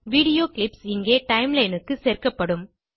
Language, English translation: Tamil, The video clips will be added to the Timeline here